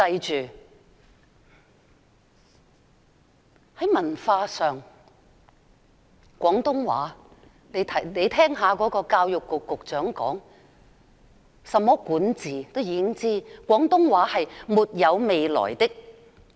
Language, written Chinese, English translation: Cantonese, 在文化上，就廣東話而言，教育局局長曾說，"除在香港，廣東話基本上是沒有未來的"。, In terms of culture say Cantonese the Secretary for Education once said Cantonese basically has no prospect except in Hong Kong